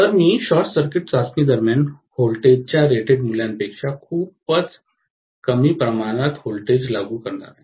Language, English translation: Marathi, So, I am going to have essentially the voltage applied during the short circuit test to be much much lower than the rated value of voltage